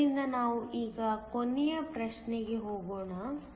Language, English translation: Kannada, So, let us now go to the last problem